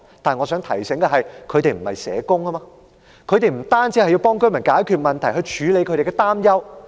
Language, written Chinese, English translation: Cantonese, 但我想提醒大家，她們不是社工，不單要協助居民解決問題及處理擔憂。, However I should remind everyone that they are not social workers . They are here not to help residents solve problems and address their concerns only